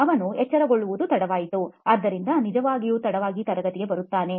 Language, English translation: Kannada, So it’s very late that he wakes up and hence actually comes to class late